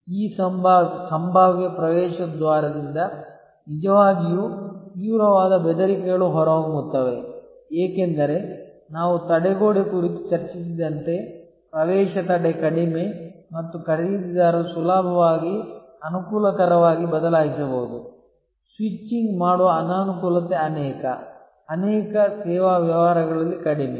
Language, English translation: Kannada, The really very intense threats emanate from this potential entrance, because as we discussed the barrier, entry barrier is low and buyers can easily switch the convenient, inconvenience of switching is rather low in many, many service businesses